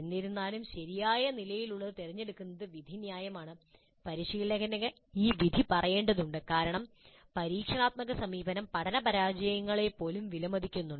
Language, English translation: Malayalam, However the choice of what is the right level is an issue of judgment instructor has to make this judgment because experiential approach values learning that can occur even from failures